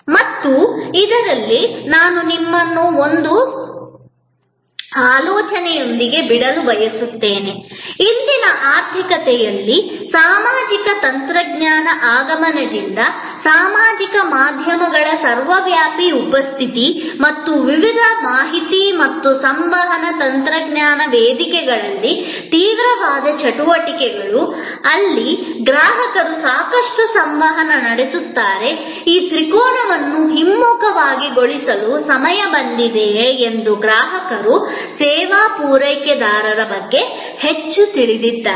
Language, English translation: Kannada, And in this, we have I would like to leave you with a thought, that whether in today's economy with an advent of social technologies with the ubiquitous presence of social media and intense activities on various information and communication technology platforms, where customers interact a lot more with each other, customers know lot more about the service provider whether a time has come to reverse this triangle